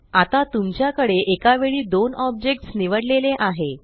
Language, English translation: Marathi, So now you have two objects selected at the same time